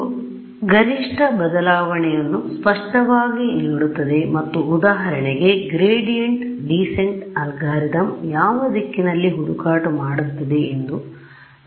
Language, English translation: Kannada, It will clearly me maximum change and it will tell me that if I did, for example, the gradient descent algorithm which direction will the search go right